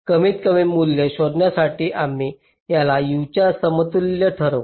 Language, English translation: Marathi, so to find the minimum value, we equate this to zero